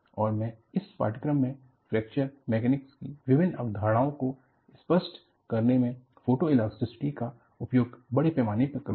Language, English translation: Hindi, And, I would use extensively, the use of photoelasticity in bringing out various concepts of Fracture Mechanics in this course